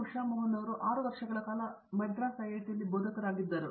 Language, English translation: Kannada, Usha Mohan has been here at as a faculty in IIT, Madras for 6 years